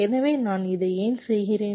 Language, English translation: Tamil, so why i do this